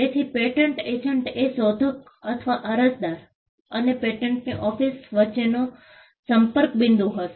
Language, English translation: Gujarati, So, the patent agent will be the point of contact between the inventor or the applicant and the patent office